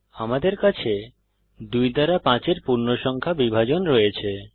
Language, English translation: Bengali, we have the integer Division of 5 by 2 is 2